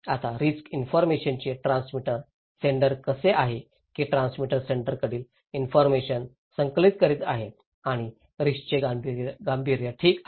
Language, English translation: Marathi, Now, the transmitter of risk information, that how the sender is that the transmitter is collecting the informations from the senders and the perceived seriousness of the risk okay